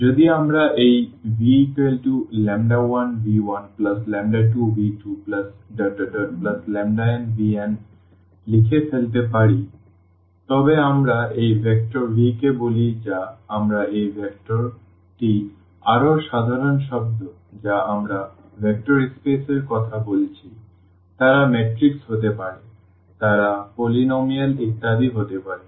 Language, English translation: Bengali, If we can write down this v as lambda 1 v 1 plus lambda 2 v 2 plus lambda n v n then we call this vector v which is again this vector is a more general term we are talking about from the vector space they can be matrices, they can be polynomial etcetera